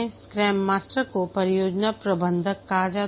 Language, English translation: Hindi, The scrum master is also called as a project manager